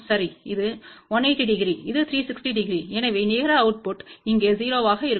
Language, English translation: Tamil, Well this is 180 degree this is 360 degree so, the net output will be 0 here